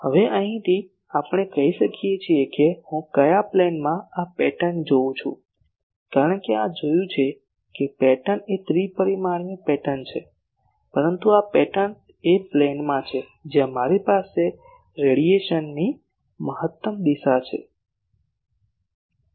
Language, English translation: Gujarati, Now from here and let us say that in which plane I am seeing this pattern because we have seen pattern is a three dimensional pattern, but this pattern is in a plane where I have the maximum direction of radiation